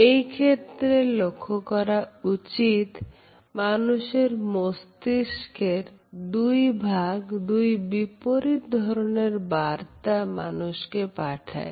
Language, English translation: Bengali, Here, we find that the two sides of the brain sent conflicting messages to the person